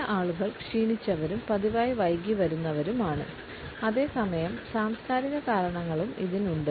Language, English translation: Malayalam, Some people are tardy and habitually late comers and at the same time there are cultural associations also